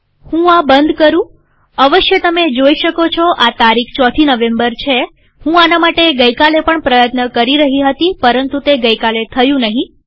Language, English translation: Gujarati, Of course you can see that this date is 4th November, I was trying to do this yesterday also and it didnt work yesterday